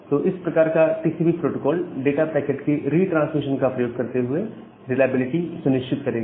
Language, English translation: Hindi, So, the TCP kind of protocol will ensure the reliability by utilizing the retransmission of the data packets